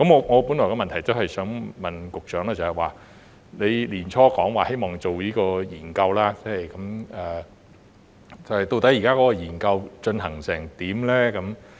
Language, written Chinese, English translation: Cantonese, 我本來的補充質詢是想問局長，他在年初時表示希望進行相關研究，究竟這項研究現時的進展為何？, The supplementary question which I intended to ask the Secretary is what is the progress of the study which he said early this year that he hoped to conduct?